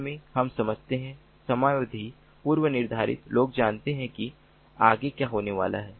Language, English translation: Hindi, we understand time slots, predefined people know what is going to happen next